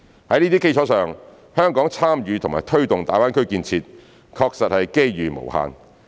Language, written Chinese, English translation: Cantonese, 在這些基礎上，香港參與及推動大灣區建設，確實是機遇無限。, On this basis there will be indeed unlimited opportunities arising from Hong Kongs participation and taking forward of the development of GBA